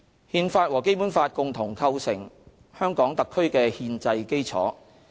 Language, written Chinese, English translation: Cantonese, 《憲法》和《基本法》共同構成香港特區的憲制基礎。, The Constitution and the Basic Law form the constitutional basis of HKSAR